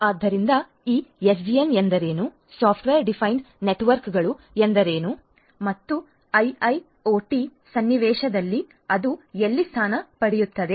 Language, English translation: Kannada, So, what is this SDN, what is software defined networks and where does it position itself in the IIoT context